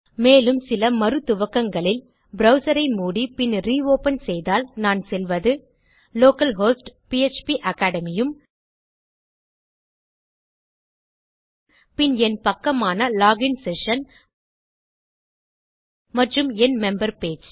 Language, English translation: Tamil, And in some second starts if I close my browser and reopen it and I go to local host php academy then go back to my page which is the login session and back to my member page Im still logged in